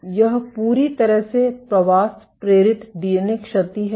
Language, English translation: Hindi, So, this is completely migration induced DNA damage